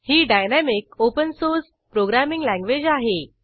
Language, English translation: Marathi, It is dynamic, open source programming language